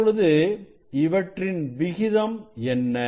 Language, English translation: Tamil, what is the ratio